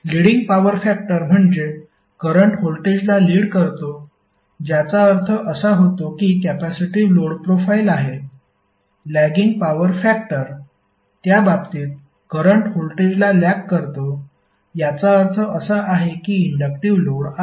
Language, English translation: Marathi, Leading power factor means that currently it’s voltage which implies that it is having the capacitive load file in case of lagging power factor it means that current lags voltage and that implies an inductive load